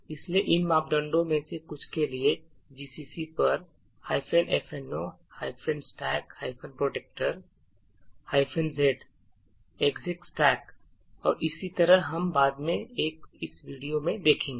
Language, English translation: Hindi, So, some of these parameters for gcc like minus F no stack protector, minus Z X 6 stack and so on we will be actually seeing in a later video